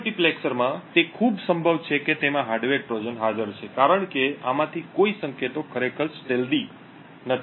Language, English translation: Gujarati, So, in this multiplexer it is highly unlikely that there is a hardware Trojan present in them due to the fact that none of these signals are actually stealthy